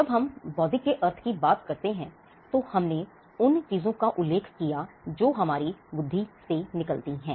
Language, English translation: Hindi, When we mean intellectual, we referred to things that are coming out of our intellect